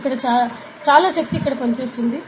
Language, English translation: Telugu, So, this much force is acting here